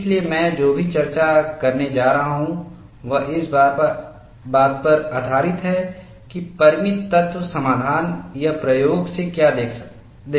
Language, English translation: Hindi, So, whatever the discussion I am going to present is based on what is seen from finite elemental solution or from experiment